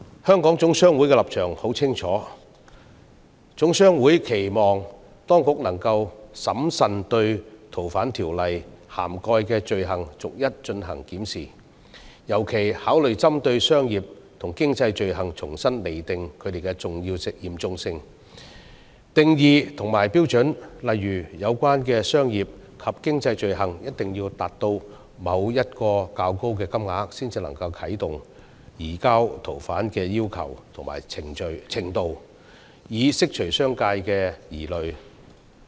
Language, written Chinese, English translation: Cantonese, 香港總商會的立場很明確，期望當局能夠審慎對《逃犯條例》涵蓋的罪類逐一檢視，尤其考慮針對商業及經濟罪類，重新釐定其嚴重性、定義及標準，例如有關商業及經濟罪類一定要涉及某個較高金額才能啟動移交逃犯的要求，以釋除商界的疑慮。, HKGCCs position has been very clear . It hopes that the authorities can carefully scrutinize each and every item of offences covered by the Ordnance with particular emphasis on commercial and economic offences and revise their seriousness definitions and standards . For example requests for surrender of fugitives shall only be initiated in the event of a relatively large amount involved in commercial and economic offences so as to allay the concerns of the business sector